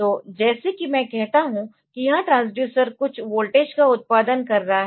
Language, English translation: Hindi, So, like if I say that this transducer is producing some voltage